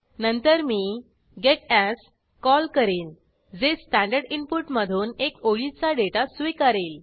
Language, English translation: Marathi, Then I call a gets, which will accept a single line of data from the standard input